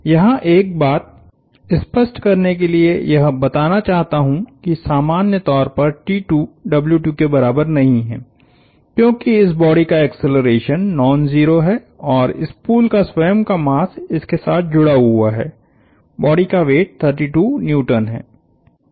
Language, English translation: Hindi, T 2 in general, just to make a point clear, T 2 is not equal to W 2, because the acceleration of this body is non zero and the spool itself has a mass associated with it, the weight of the body is 32 Newtons